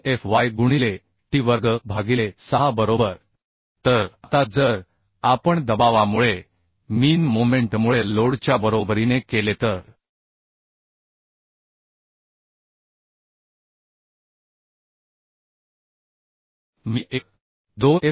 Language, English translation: Marathi, 2 fy into t square by 6 right So now if we make equal to the load due to means moment due to the pressure than I can find out 1